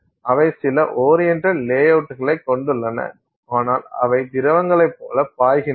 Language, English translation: Tamil, So, they are, they have some oriented, you know, uh, uh, layout but they flow like liquids